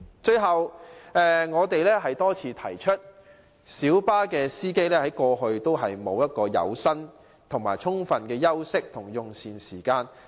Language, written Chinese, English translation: Cantonese, 最後，我們多次指出，小巴司機一直未能享有充分的有薪休息連用膳時間。, Lastly as we have pointed out many times light bus drivers have all along failed to get adequate paid rest - cum - meal breaks